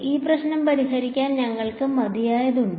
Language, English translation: Malayalam, Do we have enough to solve this problem